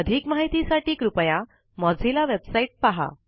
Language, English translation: Marathi, For more information about this, please visit the Mozilla website